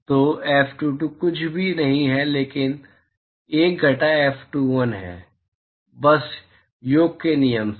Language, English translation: Hindi, So, F22 is nothing, but 1 minus F21, simply by summation rule